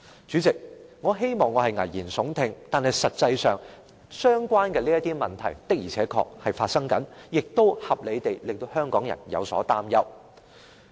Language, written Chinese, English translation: Cantonese, 主席，我希望我是危言聳聽，但實際上，相關問題的確正在發生，亦合理地令香港人有所擔憂。, President I wish I were an alarmist but as a matter of fact the problems are indeed going on making Hong Kong people worried to a reasonable extent